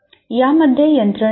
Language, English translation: Marathi, There are mechanisms in this